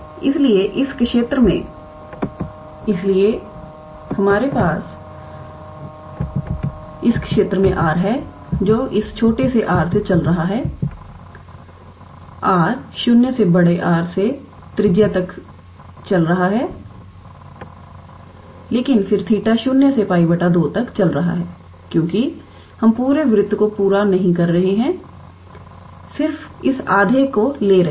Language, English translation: Hindi, So, in this region of course, we have r is running from this small r is running from 0 to capital R up to the radius, but then theta is running from 0 to pi by 2 only because we are not completing the whole circle we are just sticking to this half only